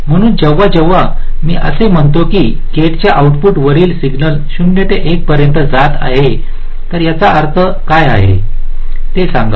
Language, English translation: Marathi, so when i say that the signal at the output of a gate is going from zero to one, let say what does this mean